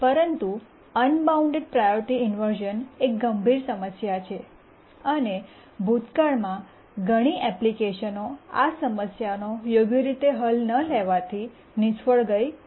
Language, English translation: Gujarati, But unbounded priority inversion is a very, very severe problem and many applications in the past have failed for not properly addressing the unbounded priority inversion problem